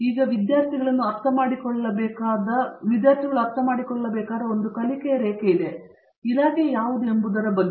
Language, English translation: Kannada, There is a learning curve that these students have to understand, what the department is about